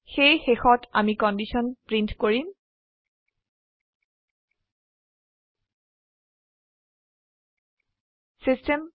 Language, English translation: Assamese, So finally, we print the condition